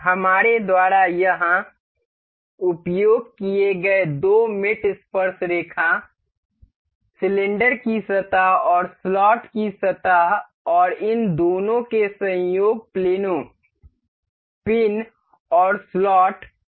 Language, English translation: Hindi, The two the two mates we have used here is tangent, the surface of the cylinder and the surface of the slot and the coincidental planes of the both of these, the pin and the slot